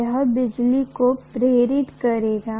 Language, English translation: Hindi, Then it will induce electricity